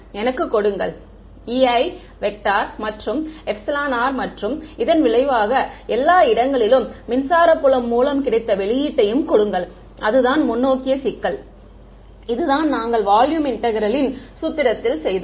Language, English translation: Tamil, Give me E i and epsilon r right and give and as a result obtain electric field everywhere that is what the forward problem, which is what we did in the volume integral formulation right